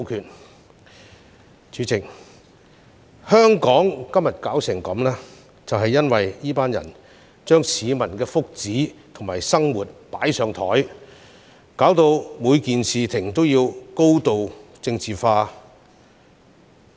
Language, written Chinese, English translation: Cantonese, 代理主席，香港弄致今天如斯境地，是因為這群人把市民的福祉和生活"擺上檯"，導致每件事情也高度政治化。, Deputy President Hong Kong has come to such a deplorable state because these people have put the well - being and livelihood of the general public on the spot and highly politicized every issue